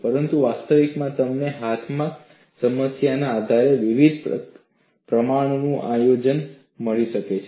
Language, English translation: Gujarati, But in reality, you may find the combination of these at various propositions depending on the problem on hand